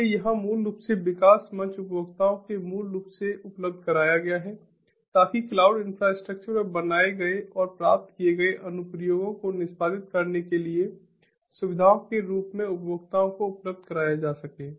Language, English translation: Hindi, so here, basically, the development platform is basically made available to the consumers as facilities to execute consumer created and acquired applications on to the cloud infrastructure